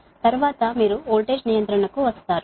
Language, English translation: Telugu, next you come to the voltage regulation, right